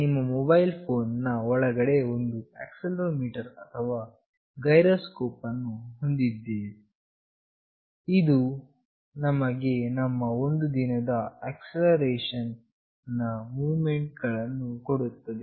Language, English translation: Kannada, Inside our mobile phone, we have an accelerometer or a gyroscope, which gives us the acceleration movement that we make in a day